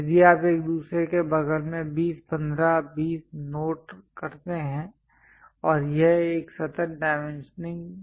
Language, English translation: Hindi, If you are noting 20 15 20 next to each other and it is a continuous chain dimensioning